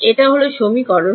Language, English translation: Bengali, This is the equation